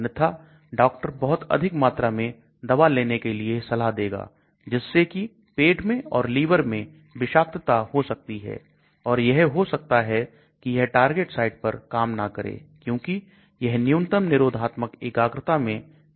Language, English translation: Hindi, Otherwise, doctor has to prescribe much higher dose which can lead to toxicity in the stomach or liver, but it may not act at the target site because it is not reaching the minimum inhibitory concentration